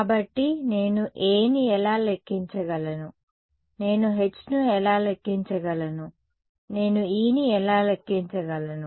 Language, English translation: Telugu, So, how can I calculate A, how can I calculate H, how can I calculate E